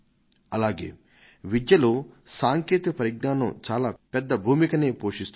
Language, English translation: Telugu, Likewise, technology plays a very big role in education